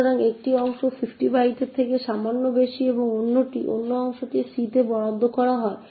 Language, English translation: Bengali, So one part is slightly more than 50 bytes and this part gets allocated to c